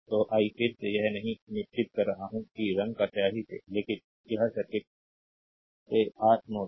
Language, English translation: Hindi, So, I am not marking again that in by color ah your ink, but this is your node a from the circuit